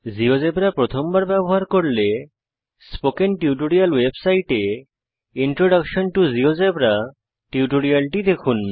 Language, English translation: Bengali, If this is the first time you are using Geogebra, please watch the Introduction to GeoGebra tutorial on the Spoken Tutorial website